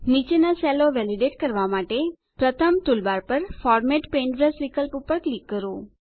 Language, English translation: Gujarati, To validate the cells below, first click on the Format Paintbrush option on the toolbar